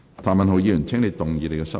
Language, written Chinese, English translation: Cantonese, 譚文豪議員，請動議你的修正案。, Mr Jeremy TAM you may move your amendment